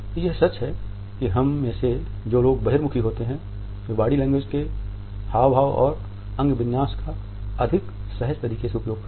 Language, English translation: Hindi, It is true that those of us who are extroverts use body language in a much more relaxed manner our gestures and postures would be more expressive